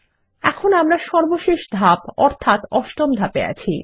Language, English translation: Bengali, Now we are in Step 8 the final step